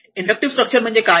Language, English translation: Marathi, What is the inductive structure